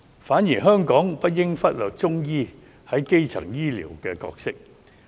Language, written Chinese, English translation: Cantonese, 同時，香港不應忽略中醫在基層醫療的角色。, Besides Hong Kong should not overlook the role of Chinese medicine in primary healthcare